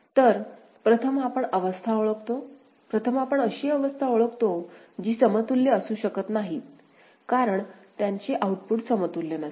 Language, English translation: Marathi, So, first we identify the states; first we identify the states which cannot be equivalent as their outputs are not equivalent ok